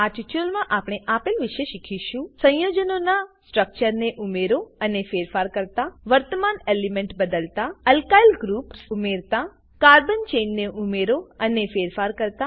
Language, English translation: Gujarati, In this tutorial we have learnt to, * Add and modify structure of compounds * Change current element * Add Alkyl groups * Add and modify carbon chain As an assignment, Draw Octane structure